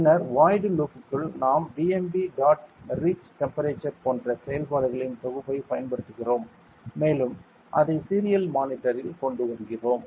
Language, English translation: Tamil, Then inside the void loop, we are using a set of functions like bmp dot read temperature and other things and we have brought it on the serial monitor